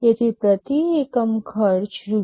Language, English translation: Gujarati, So, per unit cost will be Rs